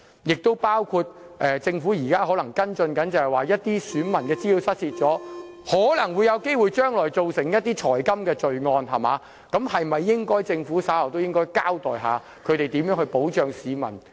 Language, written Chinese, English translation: Cantonese, 此外，政府亦可能要跟進部分選民資料失竊後可能會造成的財金罪案，政府稍後是否應該交代一下，日後如何在這方面保障市民呢？, Moreover the stolen data of the electors may be used by people to commit financial crimes . Will the Government later please also tell us what it will to do to prevent such crimes and how it will protect the people in this regard?